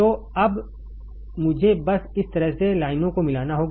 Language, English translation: Hindi, So, now, I can I had to just join lines like this see